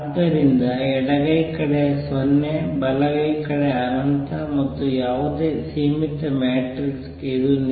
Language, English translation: Kannada, So, left hand side is 0, right hand side is infinity and that is true for any finite matrix